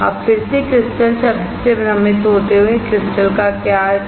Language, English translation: Hindi, Now again confusing word crystal, what does crystal mean